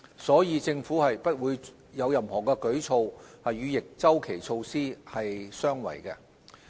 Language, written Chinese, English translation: Cantonese, 所以，政府不會有任何舉措，與逆周期措施相違。, The Government therefore will not act contrary to any counter - cyclical measures